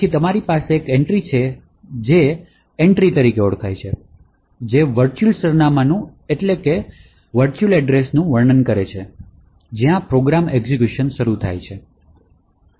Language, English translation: Gujarati, Then you have an entry which is known as Entry, which describes the virtual address, where program has to begin execution